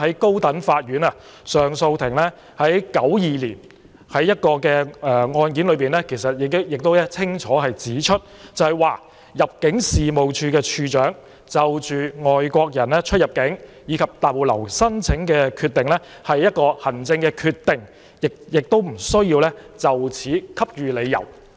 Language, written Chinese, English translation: Cantonese, 高等法院上訴法庭在1992年的一宗案件中已清楚指出，入境事務處處長就外國人出入境和逗留申請的決定是行政決定，不需就此給予理由。, The Court of Appeal of the High Court clearly indicated in the judgment on a case in 1992 that the decision made by the Director of Immigration on the application for entry exit and stay of a foreigner is an administrative decision and no reasons need to be offered in this regard